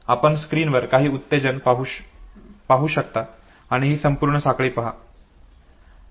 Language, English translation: Marathi, You can see certain stimulus on the screen and see this full chain